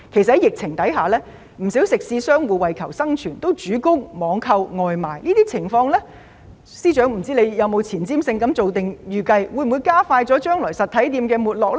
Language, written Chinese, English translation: Cantonese, 在疫情之下，不少食肆商戶為求生存，主攻網購外賣，但我不知道司長有沒有具前瞻性地預計，這種情況會否加快將來實體店的沒落。, Under the epidemic many eatery operators have focused on online takeaway services to survive . I wonder if the Financial Secretary has predicted in a forward - looking manner whether this situation will accelerate the decline of physical shops in the future